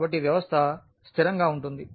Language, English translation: Telugu, So, the system is consistent